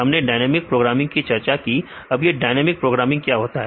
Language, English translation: Hindi, We discussed about dynamic programming, then what is dynamic programming